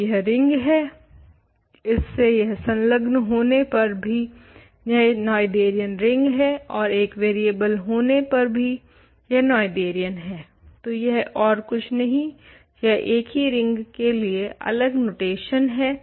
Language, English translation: Hindi, So, this is a ring it adjoined it is a Noetherian ring adjoined an extra variable is Noetherian, but this is nothing but this is just different notation for the same ring